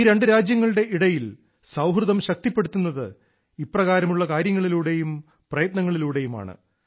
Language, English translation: Malayalam, The people to people strength between two countries gets a boost with such initiatives and efforts